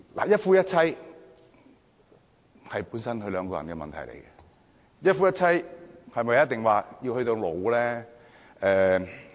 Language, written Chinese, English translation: Cantonese, 一夫一妻本來是夫妻兩個人的問題，一夫一妻是否一定要走到老？, Originally monogamy is a matter between a husband and a wife . Should they maintain such a relationship till they are old?